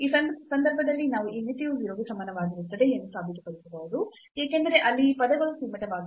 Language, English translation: Kannada, So, in this case we can prove that this limit is equal to 0 because of the boundedness of these terms there